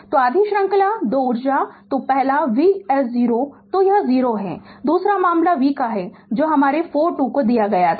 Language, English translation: Hindi, So, you know half series square energy is equal to, so first one is v h 0 so it is 0, second case your v was given your 4 t right